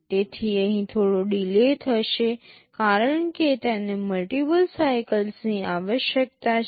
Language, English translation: Gujarati, So, there will be some delay here because it is requiring multiple cycles